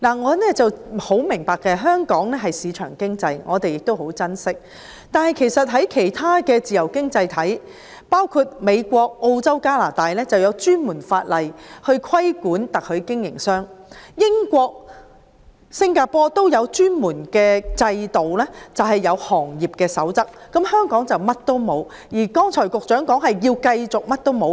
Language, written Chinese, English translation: Cantonese, 我很明白香港奉行市場經濟，我們亦很珍惜，但其他的自由經濟體，包括美國、澳洲和加拿大，都有專門法例規管特許經營商，英國和新加坡亦有專門制度和行業守則，香港卻甚麼都沒有，局長剛才表示，會繼續甚麼都不做。, I understand that Hong Kong adheres to market economy which we dearly cherish but other free economies such as the United States Australia and Canada have enacted dedicated legislation to regulate franchisors . In the United Kingdom and Singapore there is a dedicated system and a code of practice but in Hong Kong there is nothing . The Secretary indicated just now that the authorities would continue to take no action